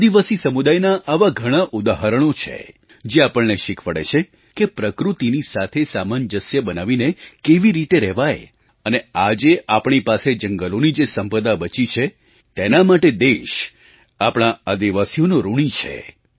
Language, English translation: Gujarati, Besides whatever I have said, there is a very long list of examples of the tribal communities which teach us how to keep a close coordination and make adjustments with the nature and the nation is indebted to our tribal people for the forest land that is still remaining with us